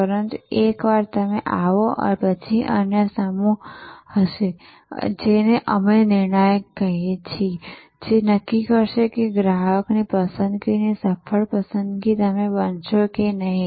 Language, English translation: Gujarati, But, once you are in the play, then there will be other sets, which we are calling determinant, which will determine that whether you will be the successful choice the preferred choice for the customer or not